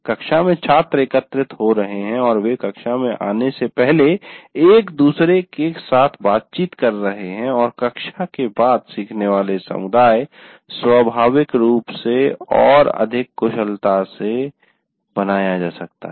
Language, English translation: Hindi, And because in a classroom students are gathering and they are interacting with each other prior before getting into the classroom and after the classroom, the learning communities can get created naturally and more easily